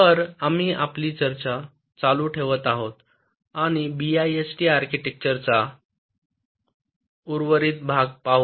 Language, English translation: Marathi, ok, so today we continue our discussion and look at the remaining part of the bist architecture